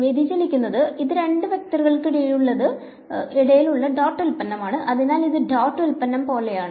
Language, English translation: Malayalam, Divergence so, this is take the dot product between two vectors so, this is like the dot product right